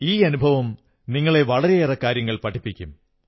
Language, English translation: Malayalam, This experience will teach you a lot